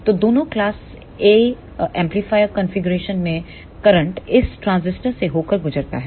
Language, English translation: Hindi, So, in both the amplifier configuration of class A the current will passed through this transistor